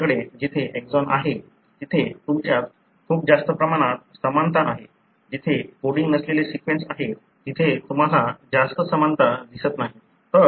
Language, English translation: Marathi, Wherever you have exon, you have very high similarity, wherever there are non coding sequence, you do not see much of a similarity